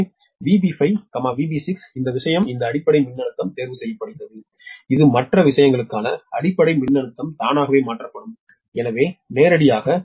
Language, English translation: Tamil, therefore, v b five, v b six, this thing, this base voltage, is chosen such that base voltage for other things automatically will be transfer right, so directly